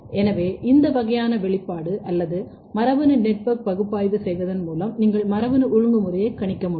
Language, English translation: Tamil, So, by doing this kind of expression or genetic network analysis you can predict genetic regulation